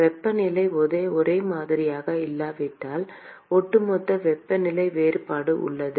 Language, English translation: Tamil, If the temperatures are not same then there is a overall temperature difference